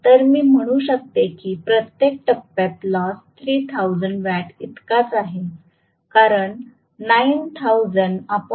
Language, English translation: Marathi, So, I can say very clearly per phase loss is equal to 3000 watts because 9000 divided by 3